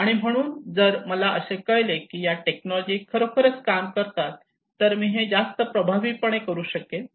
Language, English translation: Marathi, So if I found that these technologies really work and I can do it is very effective